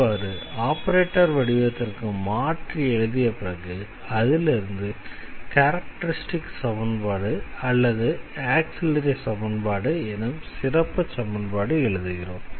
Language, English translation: Tamil, So, once we have the operated form operated form of the equation we can easily write down the characteristic equation, so or the auxiliary equation